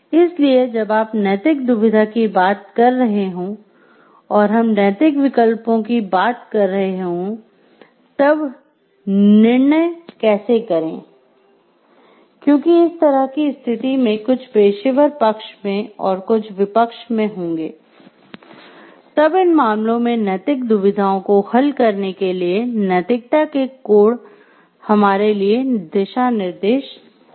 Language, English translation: Hindi, So, when you talking of ethical dilemma and we talking of moral choices and, how to make a decision, because either way we go it will have some pros and cons so, in that case codes of ethics will serve as the guideline for resolving ethical dilemmas